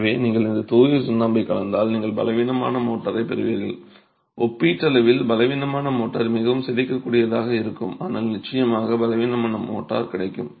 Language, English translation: Tamil, So line will, if you are working with just pure lime, you're going to get rather weak motor, relatively weak motor, more deformable probably, but definitely but weaker motor